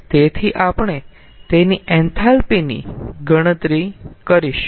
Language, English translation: Gujarati, so we know the enthalpy